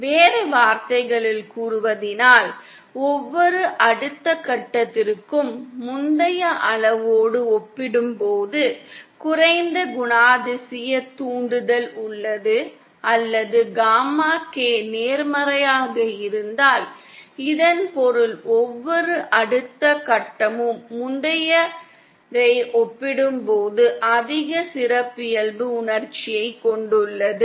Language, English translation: Tamil, In other words every subsequent stage has a lower characteristic impudence as compared to the preceding scale or if gamma K is positive then that means every subsequent stage has higher characteristic impudence as compared to the preceding one